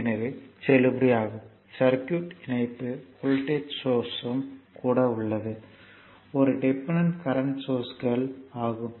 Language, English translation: Tamil, So, it is a valid circuit connection there, even voltage source is there, one dependent current sources